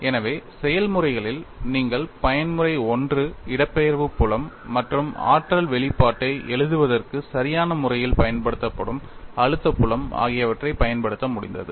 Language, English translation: Tamil, So, in the processes, you have been able to utilize the mode one displacement field as well as the stress field, appropriately used in writing the energy expression